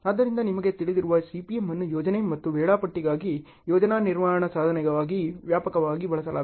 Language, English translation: Kannada, So, CPM you know is widely used as a project management tool for planning and scheduling